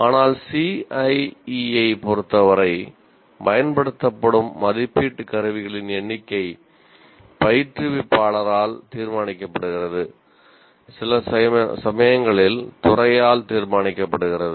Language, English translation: Tamil, But with respect to CIE, the number of assessment instruments used is decided by the instructor and sometime by the department